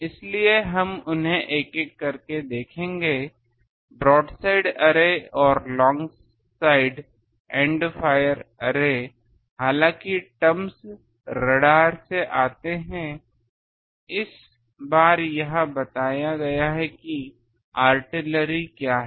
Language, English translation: Hindi, So, we will see them one by one broad side array and long side by end fire array, though terms come from radar this those times it was pointed with the that what is that artillery